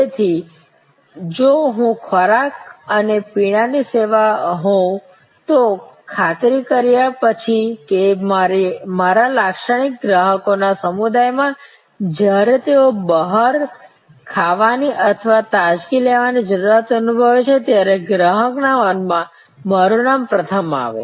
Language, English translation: Gujarati, So, if I am a food and beverage service, after ensure that in my targeted community of customers, my name comes up first in the consumer's mind when they feel the need of eating out or having a refreshment